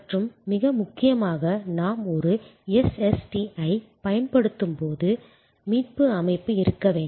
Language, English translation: Tamil, And most importantly we have to have recovery system when we use a SST